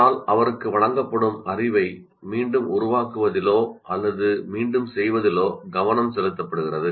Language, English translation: Tamil, But he is essentially the focus is on reproducing the or repeating the knowledge that is presented to him